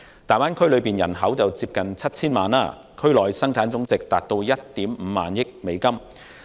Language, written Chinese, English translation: Cantonese, 大灣區區內人口接近 7,000 萬，區內生產總值達1億 5,000 萬美元。, The population of the Greater Bay Area is close to 70 million and the GDP is US150 million